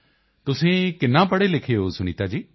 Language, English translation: Punjabi, What has your education been Sunita ji